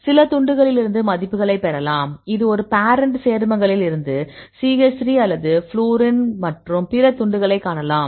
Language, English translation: Tamil, You can get the values from the some of the fragments; this a parent compound and we can see the other fragments the CH3 or the fluorine and all